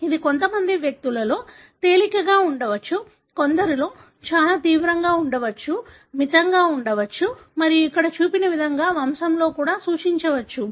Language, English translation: Telugu, It could be milder in some individuals, it could be very severe in some, it could be moderate and that also can be denoted in the pedigree, like what is shown here